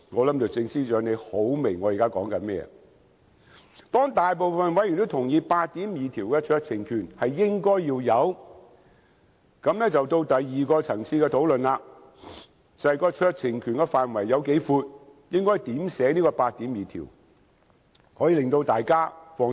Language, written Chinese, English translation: Cantonese, 當大部分委員也同意《條例草案》第82條的酌情權應該要有，便到了第二個層次的討論，便是酌情權的涵蓋範圍，應如何草擬《條例草案》第82條，才可以令大家較為放心。, After members mostly agree that discretion should be provided for in clause 82 we proceeded to the second level of discussion the coverage of the discretion . How clause 82 should be drafted to put our minds more at ease